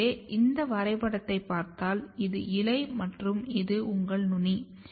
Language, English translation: Tamil, So, if you look here this diagram, so this is your leaf and this is your apex